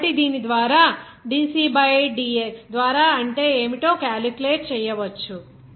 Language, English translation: Telugu, So based on which what would be the dC by dx you can calculate like this